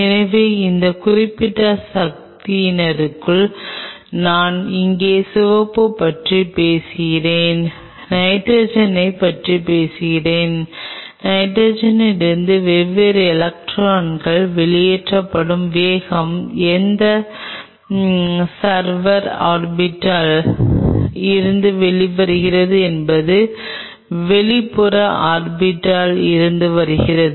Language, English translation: Tamil, So, powerful within this particular say I talk about the red here, talk about nitrogen the speed with which the different electrons from nitrogen are ejected from which server orbital it is coming from most of the outer orbitals